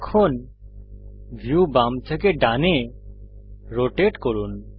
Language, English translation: Bengali, Now let us rotate the view left to right